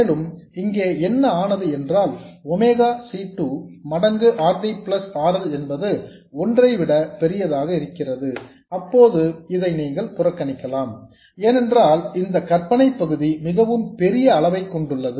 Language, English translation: Tamil, And you see that if this number here, omega C2 times RD plus RL is much greater than 1, then you can neglect this 1 here because this imaginary part has much greater magnitude and then this J omega C2 will cancel off